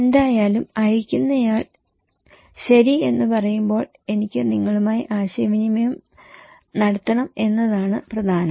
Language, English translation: Malayalam, Anyways, the important is that when the sender wants to say that okay I want to communicate with you